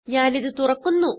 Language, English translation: Malayalam, So I will open it